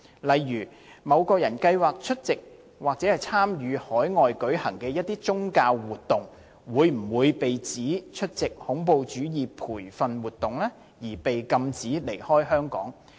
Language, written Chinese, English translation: Cantonese, 例如某人計劃出席或參與海外舉行的一些宗教活動，會否被指出席恐怖主義培訓活動，而被禁止離開香港？, For example if a person plans to attend or join some religious activities to be held overseas will he be accused of attending terrorist training and prohibited from leaving Hong Kong?